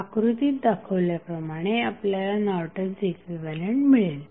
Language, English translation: Marathi, You will get Norton's equivalent as shown in the figure